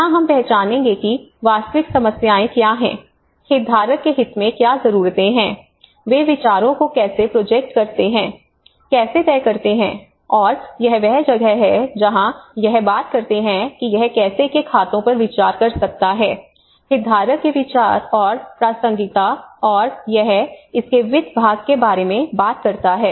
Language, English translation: Hindi, Identification so here we will identity what are the real problems you know analyse the problems, what are the needs in the stakeholder interest, how they project ideas, how to decide on, and this is where the appraisal you know it talks about how it can consider the accounts of stakeholder views and relevances and it talks about the finance part of it